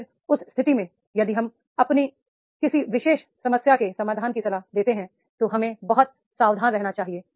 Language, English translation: Hindi, Then in that case, if we advise any solution to a particular problem, we should be very careful